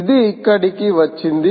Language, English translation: Telugu, it was just going there